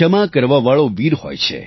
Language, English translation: Gujarati, The one who forgives is valiant